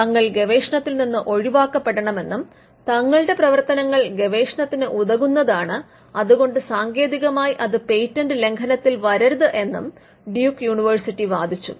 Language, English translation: Malayalam, Duke University pleaded research exception saying that its activities would amount to research and hence, it should not technically fall within patent infringement